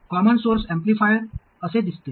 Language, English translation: Marathi, The common source amplifier looks like this